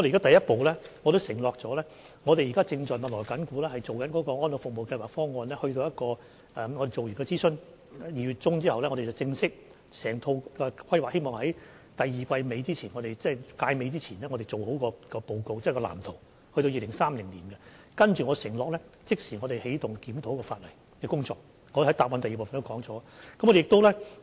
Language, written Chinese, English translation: Cantonese, 首先，我們已承諾及正密鑼緊鼓地進行安老服務計劃方案，在2月中完成諮詢後，希望能正式把整套規劃在第二季尾前，即屆尾前完成報告及直至2030年的藍圖，我承諾之後便會即時起動檢討法例的工作，我在主體答覆第二部分也曾提及這點。, As a start we have already undertaken to introduce some elderly services projects on which we are currently working very hard . After the consultation ends in mid - February we hope that the report on the overall planning and the blueprint up to 2030 can be formally finished by the end of the second quarter that is by the end of this session . I undertake that we will immediately start the review work of the legislation afterwards